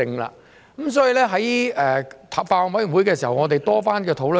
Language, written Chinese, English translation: Cantonese, 所以，在法案委員會上，我們曾多番討論。, Therefore in the Bills Committee we have had rounds of discussions